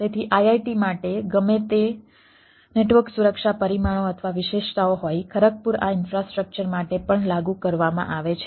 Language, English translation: Gujarati, whatever the network security parameters or features are there for iit kharagpur is also applied for this infrastructure